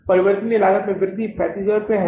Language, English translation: Hindi, Increase in the variable cost is 35,000